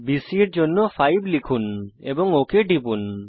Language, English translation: Bengali, 5 for length of BC and click ok